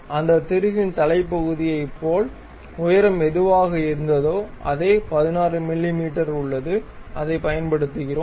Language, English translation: Tamil, We use same the head portion of that bolt whatever that height, we have the same 16 mm, we use it